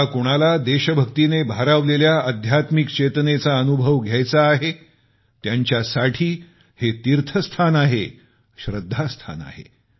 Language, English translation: Marathi, For anyone seeking to experience spiritual consciousness filled with national pride, this has become a centre of pilgrimage, a temple of faith